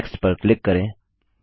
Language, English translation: Hindi, Click on Next